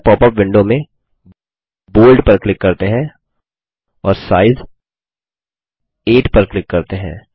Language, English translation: Hindi, In the new popup window, let us click on Bold and click on size 8, And let us click on the Ok button